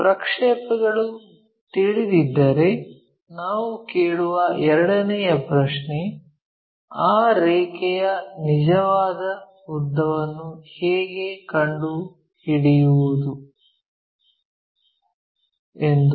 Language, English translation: Kannada, The second question what we will ask is in case if we know the projections, how to construct find the true length of that line